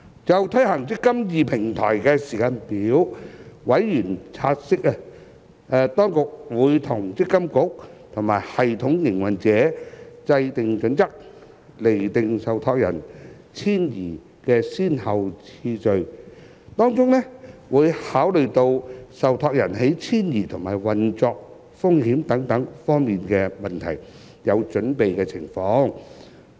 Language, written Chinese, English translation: Cantonese, 就推行"積金易"平台的時間表，委員察悉，當局會與積金局及系統營運者制訂準則，釐定受託人遷移的先後次序，當中會考慮到受託人在遷移及運作風險等方面的準備情況。, Regarding the implementation timetable of the eMPF Platform members have noted that the Administration will work out with MPFA and the system operator the criteria for determining the order of migration of trustees taking account of trustees readiness for migration and operational risks etc